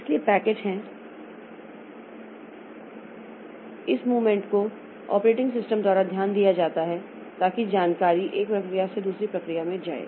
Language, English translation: Hindi, So, packets are this packet movement is taken care of by the operating system so that the information goes from one process to another process